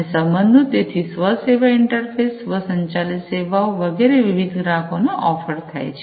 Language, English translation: Gujarati, And the relationships; so self service interfaces, automated services etcetera offered to the different customer